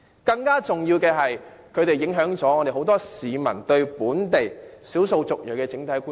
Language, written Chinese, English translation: Cantonese, 更重要的是，他們影響不少市民對本地少數族裔的整體觀感。, More importantly the overall public perception on the local ethnic minorities was marred by the presence of those claimants